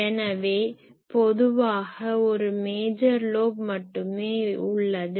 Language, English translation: Tamil, So, only generally one major lobe is there